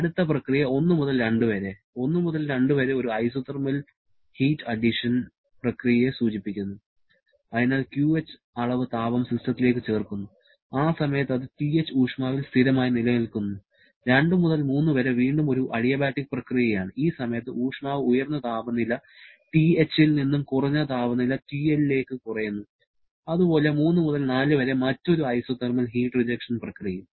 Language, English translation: Malayalam, Next process 1 to 2, 1 to 2 refers to an isothermal heat addition process, so QH amount of heat gets added to the system during which its temperature remains constant at TH, 2 to 3 is again an adiabatic process during which the temperature reduces from this high temperature TH to low temperature TL and 3 to 4 another isothermal heat rejection process